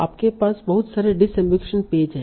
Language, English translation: Hindi, Then there are disambiguation pages